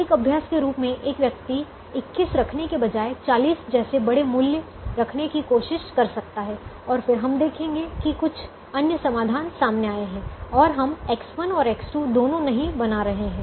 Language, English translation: Hindi, as a matter of exercise, one can try, instead of keeping this at at twenty one, one can try keeping a large value like forty, and then we will realize that some other solution has emerged and we will not be making both x one and x two